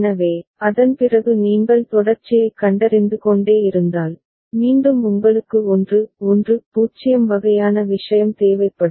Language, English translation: Tamil, So, after that if you keep continuing detecting the sequence then again you would require 1 1 0 kind of thing